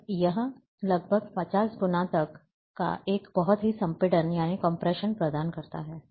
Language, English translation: Hindi, So, that provides a very compression of about even up to 50 times